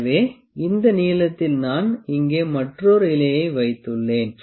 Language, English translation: Tamil, So, this length I have put another leaf here